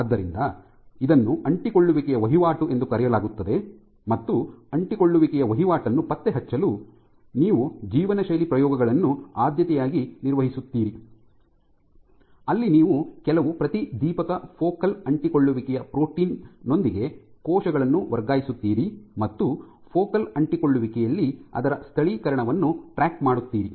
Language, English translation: Kannada, So, this is called adhesion turnover and in order to track adhesion turnover you would preferentially do lifestyle experiments, where you would transfer cells with some fluorescent focal adhesion protein, and track its localization at the focal adhesion